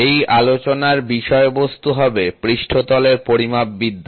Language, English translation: Bengali, So, the topic of discussion will be Surface Metrology